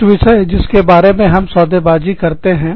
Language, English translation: Hindi, Some topics, that we bargain about